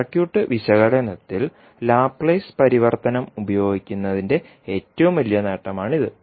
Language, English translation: Malayalam, Now this is the one of the biggest advantage of using Laplace transform in circuit analysis